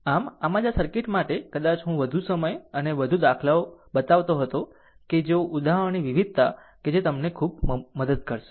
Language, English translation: Gujarati, So, that is why for this circuit perhaps I was spending more time and more examples ah such that if varieties of examples such that it will help you a lot, right